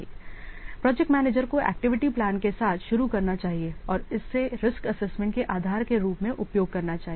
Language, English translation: Hindi, So, the project manager should start with the activity plan and use these are the basis for the risk assessment